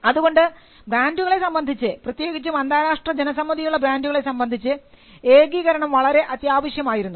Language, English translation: Malayalam, So, harmonization was the pre requirement for brands especially brands which had international reputation